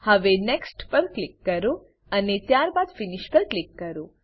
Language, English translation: Gujarati, Now, Click on Next and then click on Finish